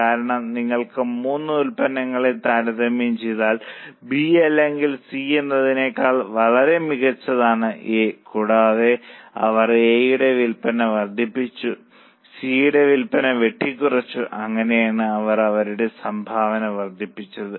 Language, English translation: Malayalam, Because if you compare the three products, product A is much better than B or C and they have increased the sales of A while have cut down the sale of C